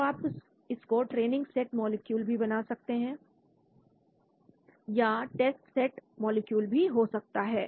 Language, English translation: Hindi, you can say done then it can be training set molecule or it can be test set molecule